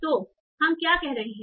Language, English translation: Hindi, So what are we doing